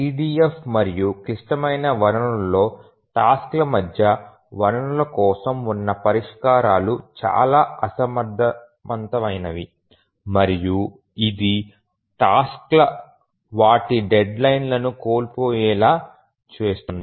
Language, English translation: Telugu, If we look at the solutions that exist for resource sharing among tasks in EDF and critical resources we are talking of, then the solution is extremely inefficient and this causes the tasks to miss their deadlines